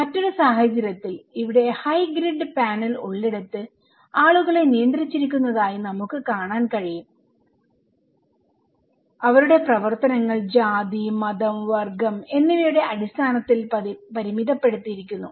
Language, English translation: Malayalam, In other case, where extreme we have high grid panel here, we can see that people are restricted; their activities are restricted based on caste, creed, class